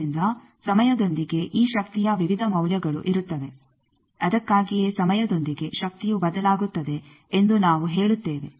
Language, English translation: Kannada, So, with time there will be various values of this power that is why we say power varies during with time